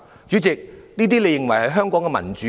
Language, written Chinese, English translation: Cantonese, 主席，你認為這就是香港的民主嗎？, President do you consider this democracy in Hong Kong?